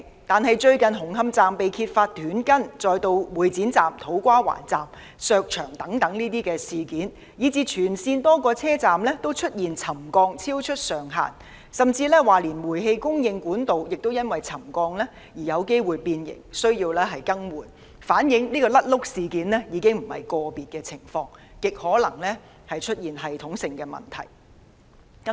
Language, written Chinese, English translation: Cantonese, 但是，最近紅磡站工程被揭發出現"短筋"，接着是會展站、土瓜灣站的牆身被削薄事件，以至全線多個車站均出現沉降幅度超出上限，甚至連煤氣供應管道也因為沉降而有機會變形，需要更換，反映"甩轆"事件已非個別情況，而是極可能出現了系統性問題。, However recently it has been discovered that steel reinforcement bars have been cut short in the construction works of the Hung Hom Station followed by the walls in this Exhibition Centre Station and the To Kwa Wan Station being removed the settlement of a number of stations along the entire line being found to have exceeded the upper limit even the deformation of gas pipes as a result of the settlement and thus the need for replacement . All shows that the blunders are not isolated incidents but most likely systemic problems have arisen